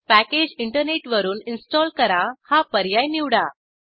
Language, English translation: Marathi, Choose the option Packages shall be installed from the internet